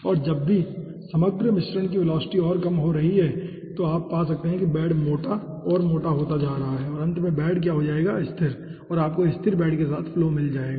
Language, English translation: Hindi, okay, and whenever the liquid over all mixture velocity is reducing further, then you can find out that the bed is getting thicker and thicker and finally the bed will be come stationary and you will be obtaining the flow stationary bed, okay